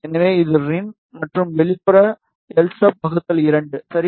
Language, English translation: Tamil, So, this is rin, and outer will be l sub by 2 ok